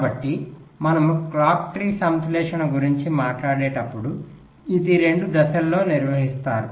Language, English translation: Telugu, so when we talk about clock tree synthesis, so it is performed in two steps